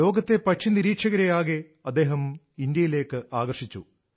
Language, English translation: Malayalam, This has also attracted bird watchers of the world towards India